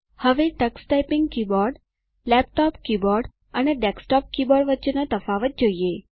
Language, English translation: Gujarati, Now let us see if there are differences between the Tux Typing keyboard, laptop keyboard, and desktop keyboard